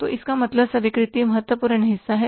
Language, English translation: Hindi, So, it means acceptance is the important part